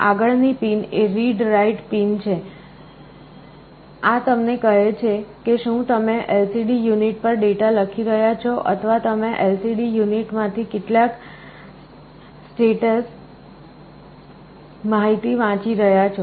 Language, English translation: Gujarati, The next pin is a read/write pin, this tells you whether you are writing a data to the LCD unit or you are reading some status information from the LCD unit